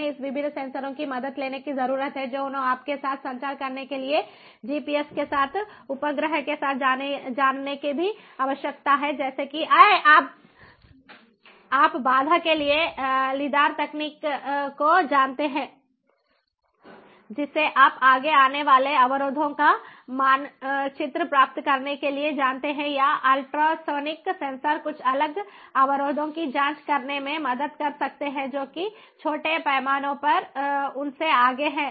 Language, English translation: Hindi, they need to also communicate with ah ah, you know the with the satellite, with the gps, with the help of technologies such as, you know, lidar technology for obstruction, you know, for getting a map of the obstructions ahead, or the ultrasonic sensors can help in even checking some different obstructions that are ahead of them in a small scale